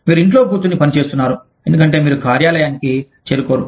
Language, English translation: Telugu, You are sitting and working at home, just because, you do not reach the office